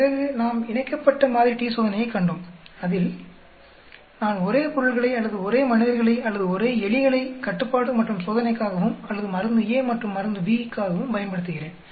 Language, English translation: Tamil, Then we looked at paired t Test, where I use the same subjects or same volunteers or same rats as for both control and test or drug A and drug B